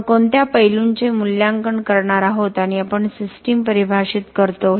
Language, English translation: Marathi, What aspects are we going to assess and we define the system